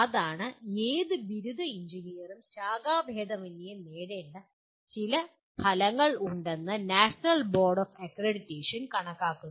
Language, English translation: Malayalam, That is the National Board Of Accreditation considers there are certain outcomes any graduate engineer should attain, irrespective of the branch from which he is coming